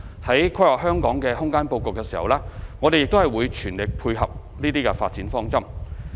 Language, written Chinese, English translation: Cantonese, 在規劃香港的空間布局時，我們會全力配合這些發展方針。, In planning the spatial layout of Hong Kong we will endeavour to fully incorporate these development directions